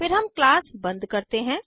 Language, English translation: Hindi, Then we close the class